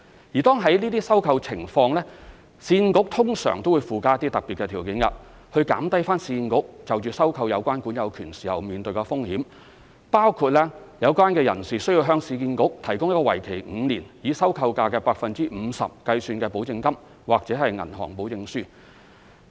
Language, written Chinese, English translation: Cantonese, 如果屬於這類收購情況，市建局通常會附加一些特別條件，以減低市建局收購有關管有權時面對的風險，包括有關人士需要向市建局提供一個為期5年、以收購價 50% 計算的保證金或銀行保證書。, In this type of acquisition URA will in general add special conditions to lower its risk in acquiring these possessory titles . For instance the adverse possessors are required to provide URA with a five - year security deposit or bank guarantee calculated at 50 % of the acquisition price